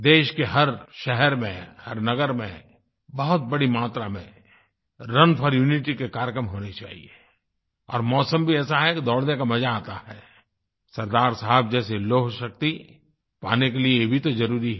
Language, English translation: Hindi, There should be a number of Run for Unity programmes in every city, every town and the weather is also such that one would enjoy running It is essential for developing a will power of steel, like that of Sardar Saheb